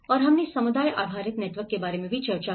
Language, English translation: Hindi, And we did also discussed about the community based networks